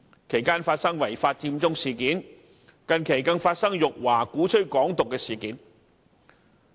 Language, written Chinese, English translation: Cantonese, 其間發生違法"佔中"事件，近期更發生辱華、鼓吹"港獨"的事件。, In the process there occurred the unlawful Occupy Central and more recently attempts were even made to slur China and advocate Hong Kong independence